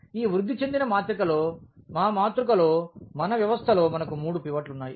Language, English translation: Telugu, We have three pivots in our in our system here in our matrix in our this augmented matrix